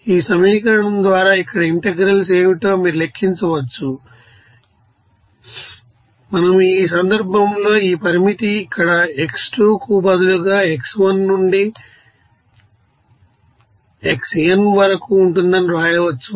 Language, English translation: Telugu, So, by this equation, you can calculate what should be the integrals here, in this case, we can write that this limit will be x1 to xn instead of x2 here